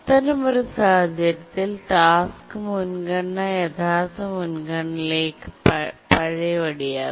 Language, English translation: Malayalam, So the task's priority in that case is reverted back to the original priority